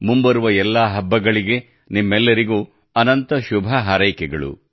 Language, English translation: Kannada, Heartiest greetings to all of you on the occasion of the festivals